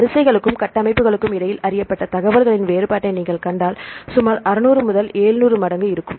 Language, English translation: Tamil, So, if you see the difference of known information between the sequences and the structures, there is about 600 to 700 fold